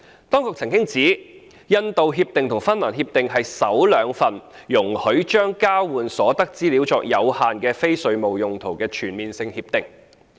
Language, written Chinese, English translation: Cantonese, 當局曾指出，《印度協定》和《芬蘭協定》是首兩份容許將交換所得的資料作有限的非稅務用途的全面性協定。, The authorities have indicated that the Indian Agreement and the Finnish Agreement are the first two CDTAs which will allow use of the exchanged information for limited non - tax related purposes